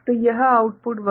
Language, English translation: Hindi, So, this output will be 1